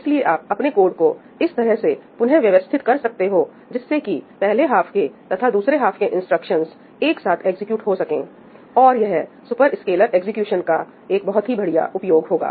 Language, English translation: Hindi, So, you could possibly rearrange your code so that the instructions for the first half and the second half get executed together, and that would make very good use of superscalar execution